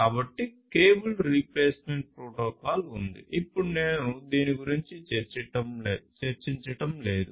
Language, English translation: Telugu, So, there is a cable replacement protocol which I am not going through over here